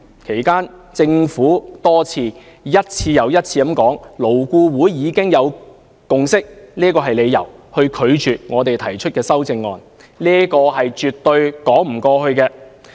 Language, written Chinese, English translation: Cantonese, 其間，政府亦多次以"勞工顧問委員會已有共識"為由，拒絕接受我們提出的修正案，這是絕對說不通的。, In the process the Government also rejected our amendments for the reason that the Labour Advisory Board LAB had reached a consensus . This justification simply cannot stand to reason